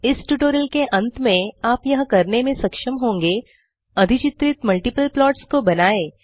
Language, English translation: Hindi, At the end of this tutorial, you will be able to, draw multiple plots which are overlaid